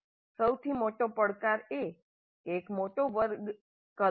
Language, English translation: Gujarati, One of the biggest challenges would be the large class size